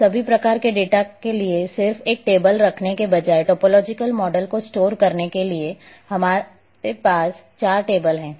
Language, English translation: Hindi, Now in order to store in topological model instead of having just a one table for all kinds of data here now we are having four tables